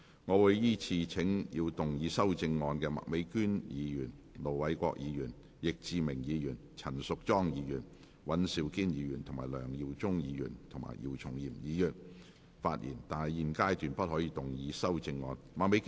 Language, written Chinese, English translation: Cantonese, 我會依次請要動議修正案的麥美娟議員、盧偉國議員、易志明議員、陳淑莊議員、尹兆堅議員、梁耀忠議員及姚松炎議員發言；但他們在現階段不可動議修正案。, I will call upon Members who move the amendments to speak in the following order Ms Alice MAK Ir Dr LO Wai - kwok Mr Frankie YICK Ms Tanya CHAN Mr Andrew WAN Mr LEUNG Yiu - chung and Dr YIU Chung - yim; but they may not move the amendments at this stage